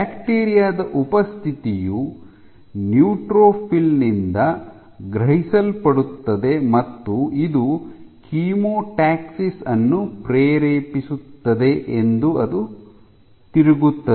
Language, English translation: Kannada, It turns out that the presence of bacteria is sensed by the neutrophil and this induces chemotaxis